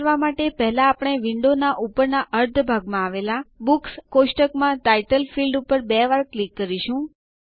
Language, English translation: Gujarati, To do this, we will first double click on the Title field in the Books table in the upper half of the window